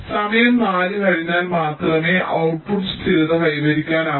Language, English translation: Malayalam, so you see, only after time four the output is getting stabilized